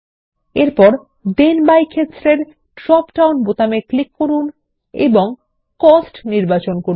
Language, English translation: Bengali, Under the first Then by field, click on the drop down, and select Cost